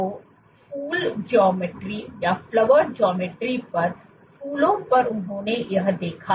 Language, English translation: Hindi, So, on the flowers on the flowered geometry this is what they observed